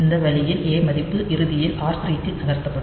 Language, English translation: Tamil, So, that that way we get this ultimately this a value has to be moved to r 3